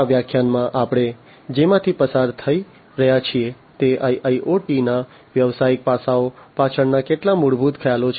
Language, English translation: Gujarati, So, in this lecture, what we are going to go through are some of the fundamental concepts, behind the business aspects of IIoT